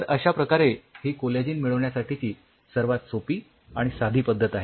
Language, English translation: Marathi, So, this is one of the easiest and simplest way how you can obtain collagen